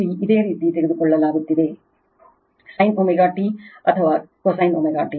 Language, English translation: Kannada, Here you are taking sin omega t or cosine omega t